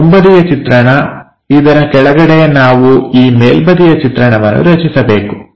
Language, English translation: Kannada, So, this is the front view bottom side we are supposed to draw this top view